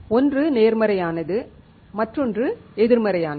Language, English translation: Tamil, One is positive and the other one is negative